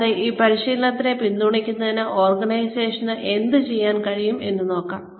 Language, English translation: Malayalam, And, what the organization can do, in order to support this training